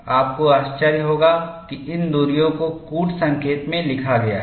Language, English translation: Hindi, You will be surprised; even these distances are noted in the code